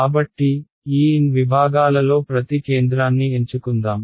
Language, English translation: Telugu, So, let us choose the centre of each of these n segments